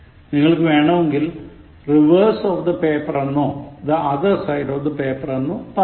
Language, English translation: Malayalam, You can say reverse of the paper or the other side of the paper